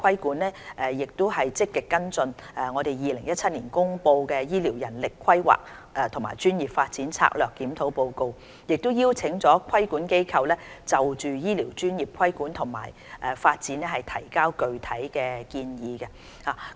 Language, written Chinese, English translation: Cantonese, 我們亦積極跟進政府於2017年公布的《醫療人力規劃和專業發展策略檢討報告》，已邀請規管機構就醫療專業的規管及發展提交具體建議。, We are also following up on the Report of the Strategic Review on Healthcare Manpower Planning and Professional Development which was published in 2017 . We have invited regulatory bodies to submit concrete proposals on regulation and development of health care professions